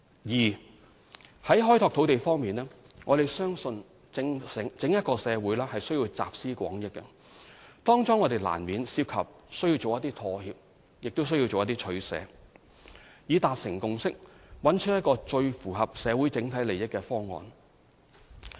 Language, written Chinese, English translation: Cantonese, 二在開拓土地方面，我們相信社會需要集思廣益，當中亦難免涉及妥協和取捨，以達成共識，找出一個最符合社會整體利益的方案。, 2 On developing land we need the collective wisdom of the society and in the process make compromises and involve give - and - take in order to reach consensus on the solution in the best interest of the society